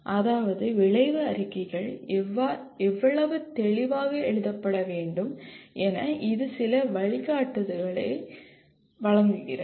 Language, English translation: Tamil, It provides some guidance that is how clearly the outcome statements need to be written